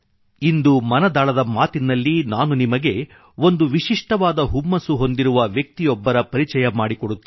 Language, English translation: Kannada, Today in Mann ki baat I will introduce you to a person who has a novel passion